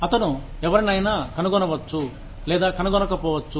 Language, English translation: Telugu, He may, or may not, find somebody